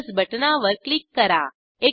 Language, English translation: Marathi, Click on the plus button